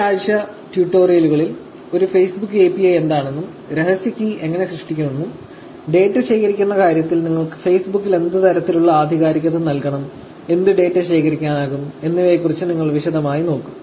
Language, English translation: Malayalam, In tutorials this week, you will actually look at in detail about what a Facebook API is, how do you actually create the secret key, what kind of authentication that you will have to provide Facebook, in terms of collecting data, what data can be collected and things like that